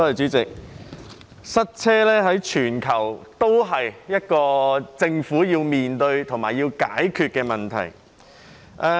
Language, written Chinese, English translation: Cantonese, 主席，塞車是一個全球政府均要面對及解決的問題。, President traffic congestion is a problem to be faced and solved by governments all over the world